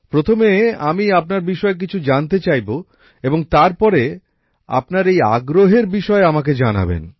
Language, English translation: Bengali, So, first I would like to know something about you and later, how you are interested in this subject, do tell me